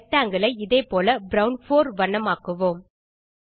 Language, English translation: Tamil, Now lets color the rectangle in brown 4 in the same way, again